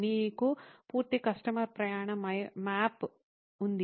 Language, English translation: Telugu, You will have a complete customer journey map